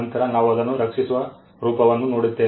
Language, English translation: Kannada, Then we look at the form by which it is protected